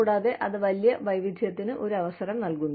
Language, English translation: Malayalam, And, it provides an opportunity for greater diversity